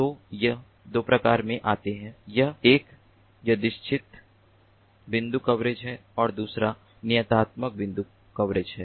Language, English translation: Hindi, so it comes in two flavors: one is the random point coverage and the other one is the deterministic point coverage